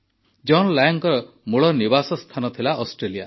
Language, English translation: Odia, John Lang was originally a resident of Australia